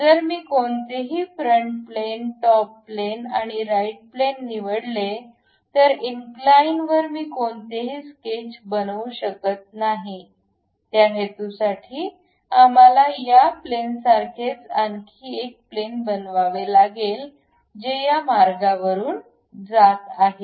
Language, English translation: Marathi, If I pick any front plane, top plane, side plane whatever this, I cannot really construct any sketch on that incline; for that purpose what we are doing is with respect to this plane, I would like to construct one more plane, which is passing through this line